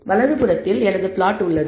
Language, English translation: Tamil, On the right hand side, I have the plot